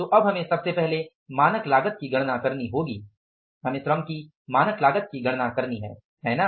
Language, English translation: Hindi, We have to calculate the standard cost of labor, standard cost of labor and for calculating the standard cost of the labor, right